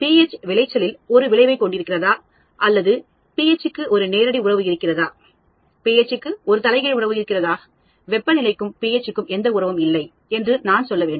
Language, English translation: Tamil, I need to say whether pH has an effect on the yield or I would say ph has a direct relationship, pH has an inverse correlation, temperature has no relationship